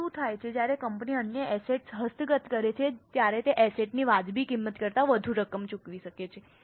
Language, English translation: Gujarati, Now what happens is when company acquires other assets, it may pay more than what amount is a fair value of that asset